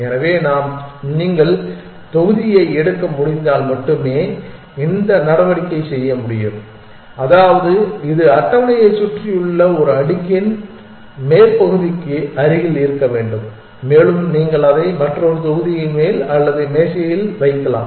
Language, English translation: Tamil, So, this move can only be done if you can pick up of block, which means it must near the top of a stack all around the table and you can put it down either on the top of another block or on the table